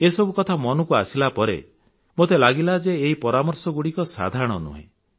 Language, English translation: Odia, And when these things came to my notice I felt that these suggestions are extraordinary